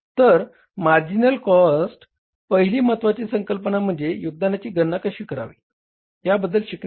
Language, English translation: Marathi, So, first important concept of the merchant costing is the contribution or learning about how to calculate the contribution